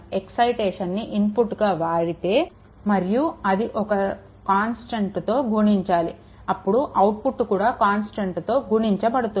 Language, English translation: Telugu, If the input is excitation, and it is multiplied by constant, then output is also multiplied by the same constant